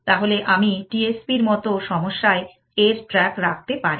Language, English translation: Bengali, So, I can keep track of that in a T S P like problem as well essentially